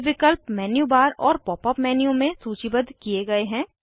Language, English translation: Hindi, These options are listed in the Menu bar and Pop up menu